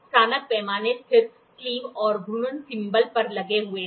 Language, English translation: Hindi, The graduated scale is engaged on the stationary sleeve and rotating thimble